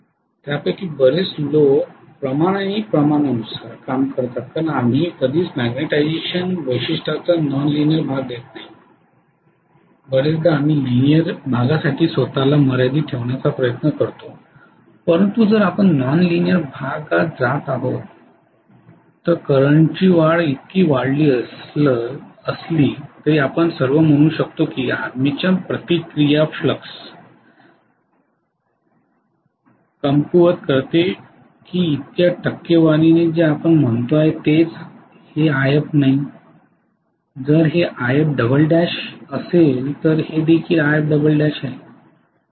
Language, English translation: Marathi, Most of them work on ratio and proportion because we hardly ever give the non linear portion of the magnetization characteristic very often we try to confine ourselves as much as possible to linear portion but if we are going in non linear portion we may say all though the increase in the current is by so much, armature reaction weakens the flux by so much percentage that is what we say, this is not IF this is IF2 dash, this is also IF 2 dash